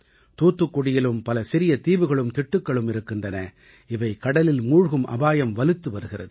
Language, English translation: Tamil, There were many such small islands and islets in Thoothukudi too, which were increasingly in danger of submerging in the sea